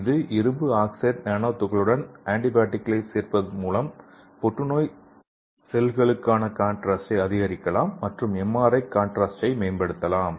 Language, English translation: Tamil, And next example is to this iron oxide nano particles we can also add antibodies which can specifically go on bind to the cancer cell and it can also improve the MRI contrast